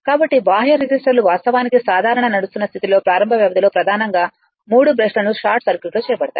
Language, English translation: Telugu, So, the external resistors are actually mainly used during the start up period under normal running condition the three brushes are short circuited right